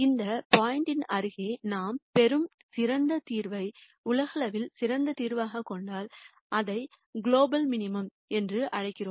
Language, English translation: Tamil, And if the solution that we get the best solution that we get in the vicinity of this point is also the best solution globally then we also call it the global minimum